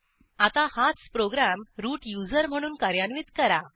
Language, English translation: Marathi, Now lets execute the same program as root user